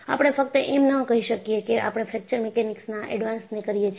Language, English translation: Gujarati, You cannot simply say I am doing an Advanced Fracture Mechanics